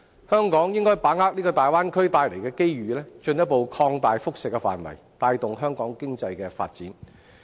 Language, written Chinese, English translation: Cantonese, 香港應把握大灣區帶來的機遇，進一步擴大輻射範圍，帶動香港經濟的發展。, Hong Kong should seize the opportunities brought by the Bay Area and further extend the areas of its impact to promote the economic development of Hong Kong